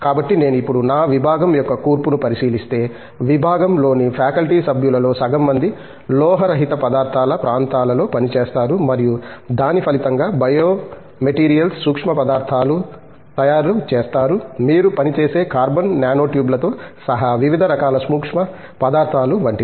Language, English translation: Telugu, So, if I now look at the composition of my department, half of the department faculty members work on non metallic materials areas and as a result materials such as, biomaterials, nanomaterials okay; variety of nanomaterials including carbon nanotubes which you yourself work on